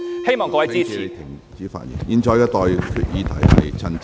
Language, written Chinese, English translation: Cantonese, 希望各位支持議案。, I hope Members will support the motion